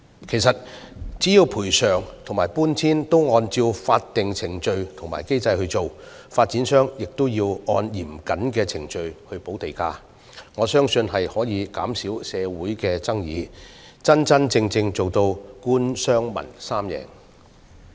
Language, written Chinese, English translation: Cantonese, 其實只要賠償與搬遷安排均按照法定程序和機制行事，而發展商亦按嚴謹程序補地價，我相信可以減少社會爭議，真真正正達致官、商、民三贏。, In fact I believe that as long as the compensation and removal arrangements are made in accordance with statutory procedures and mechanisms with land premium payment made by developers under stringent procedures social disputes can be reduced resulting truly in an all - win situation for the Government the business sector and the community